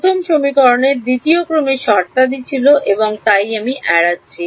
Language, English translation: Bengali, The first equation had second order terms and so on which I am ignoring